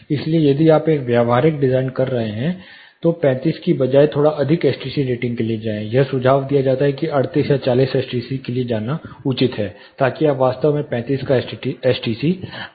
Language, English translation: Hindi, So, accounting for all that if you are doing it practical design, go for a slightly higher STC rating, instead of 35 it is suggested or advisable to go for 38 or 40 STC, so that you can actually achieve an STC of 35